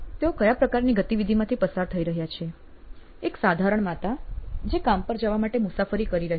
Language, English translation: Gujarati, And what is the activity that they are going through, is a simple mom riding to work